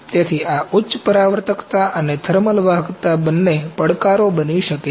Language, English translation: Gujarati, So, this high reflectivity and thermal conductivity both can be the challenges